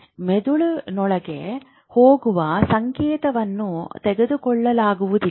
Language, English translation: Kannada, So, this signal which is going within the brain cannot be picked up